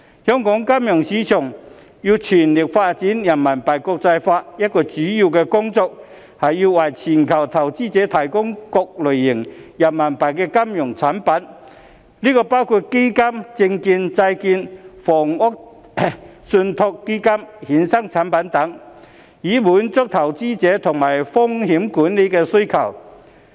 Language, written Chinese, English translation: Cantonese, 香港金融市場要全力發展人民幣國際化，一項主要工作是要為全球投資者提供各類型的人民幣金融產品，包括基金、證券、債券、房地產信託基金、衍生產品等，以滿足投資者及風險管理的需求。, In order to fully develop the internationalization of RMB one of the main tasks of the Hong Kong financial market is to provide global investors with various types of RMB financial products including funds securities bonds real estate trust funds derivative products etc . to meet the needs of investors and risk management . Given the States announced goal of achieving carbon neutrality in 2060 it is estimated that an investment of RMB150 trillion to RMB300 trillion will be required